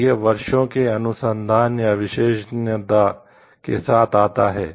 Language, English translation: Hindi, And it has like through years of research or expertise